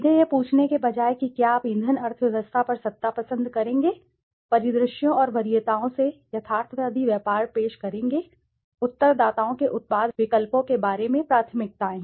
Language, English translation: Hindi, Rather than ask directly whether you would prefer power over fuel economy will present realistic trade off scenarios and preferences, infer preferences about the product choices of the respondents